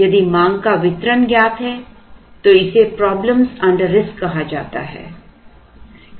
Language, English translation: Hindi, If the distribution of demand is known then it is called problems under risk